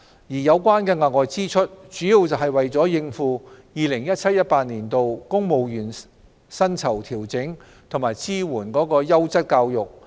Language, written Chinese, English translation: Cantonese, 有關的額外支出，主要是為了應付 2017-2018 年度公務員薪酬調整及支援優質教育。, The excess expenditure was mainly for coping with the 2017 - 2018 civil service pay adjustment and supporting quality education